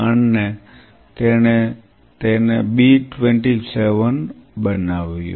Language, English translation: Gujarati, And he further took it make it B27